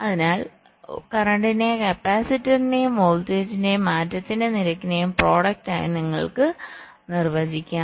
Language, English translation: Malayalam, so you can define the current flowing as the product of the capacitor and the rate of change of voltage